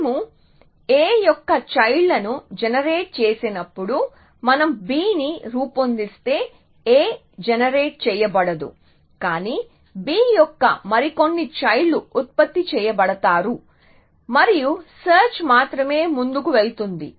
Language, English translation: Telugu, So, when we when we generate children of a it will only be the forward looking children after a if we generate b then a will not be generated, but some other children of b would be generated and the search will only push in the forward direction